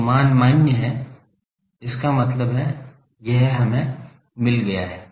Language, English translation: Hindi, So, the value is only valid that means, we have got this